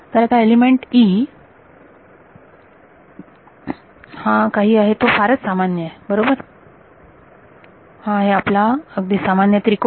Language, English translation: Marathi, So, now, this element e is that is something that is going to be very general right, this is going to be your very general triangle